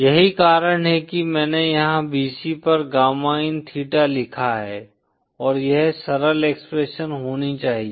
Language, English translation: Hindi, That’s why I've written here at bc gamma in theta should be this simple expression